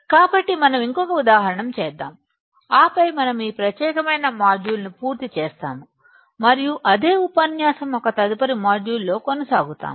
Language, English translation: Telugu, So, let us do one more example and then, we will finish this particular module and we continue in a next module of the same lecture